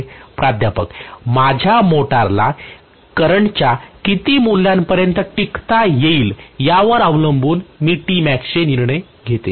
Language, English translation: Marathi, I decide my T max depending upon what is the value of the current my motor can withstand